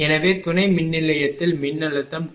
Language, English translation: Tamil, So, in substation voltage was 240